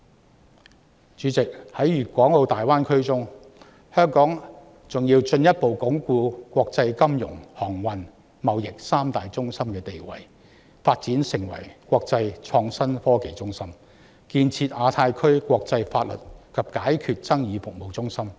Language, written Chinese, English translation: Cantonese, 代理主席，在粵港澳大灣區中，香港還要進一步鞏固國際金融、航運及貿易三大中心的地位、發展成為國際創新科技中心，以及建設亞太區國際法律及解決爭議服務中心。, Deputy President in the Greater Bay Area Hong Kong still needs to further consolidate our status as the international financial trade and maritime centres develop into an international innovation and technology centre and establish ourselves as a centre for international legal and dispute resolution services in the Asia - Pacific Region